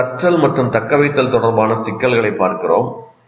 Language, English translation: Tamil, Now we look at the issues of learning and retention